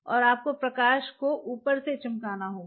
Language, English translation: Hindi, And you have to shining the light from the top